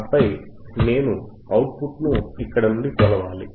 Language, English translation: Telugu, And then I hadve to measure the output you from here